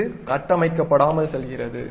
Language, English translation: Tamil, So, it goes unconstructed